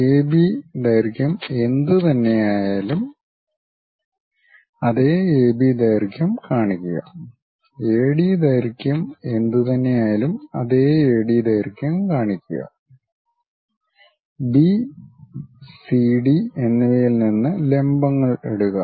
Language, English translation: Malayalam, Whatever the AB length is there, locate the same AB length whatever the AD length look at the same AD length drop perpendiculars from B and CD